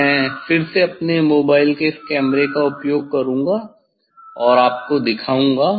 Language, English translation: Hindi, I will use this again this camera of my mobile and will show you I think let us first